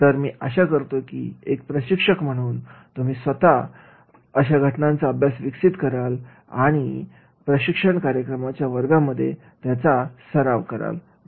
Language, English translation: Marathi, So, I wish that is the trainers will make their own case studies, they will exercise in the classroom and use into their training programs